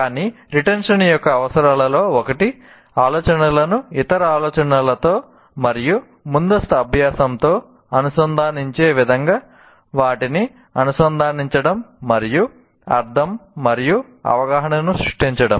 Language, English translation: Telugu, But one of the requirements of retention is linking them in a way that relates ideas to other ideas and to prior learning and so creates meaning and understanding